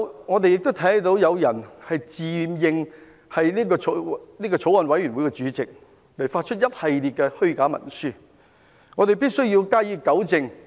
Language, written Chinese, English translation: Cantonese, 我們看到有人自認法案委員會的主席，發出一系列虛假文書，大家必須加以糾正。, Having seen someone proclaim himself Chairman of the Bills Committee and issue a series of false instruments we must correct the situation